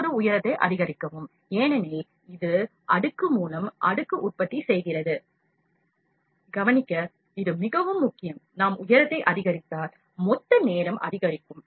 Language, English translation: Tamil, When we increase height, because it is manufacturing layer by layer, this is very important to note if we increase the height, the total time would increase